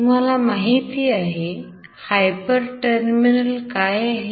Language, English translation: Marathi, What is a hyper terminal